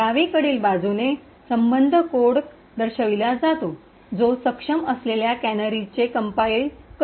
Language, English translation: Marathi, While on the left side shows the corresponding assembly code that gets complied with canaries enabled